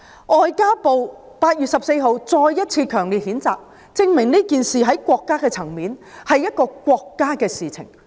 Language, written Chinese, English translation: Cantonese, 外交部在8月14日再次強烈譴責，證明此事從國家的層面來看，是國家的事情。, The fact that MFA issued another strong condemnation on 14 August is proof that from the perspective of the country this incident is a national issue